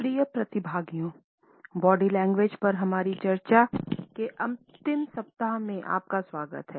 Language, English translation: Hindi, Dear participants welcome to the last week of our discussions on Body Language